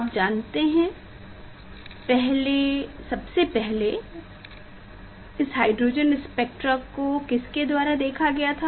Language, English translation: Hindi, you know that the first this hydrogen spectra were observed by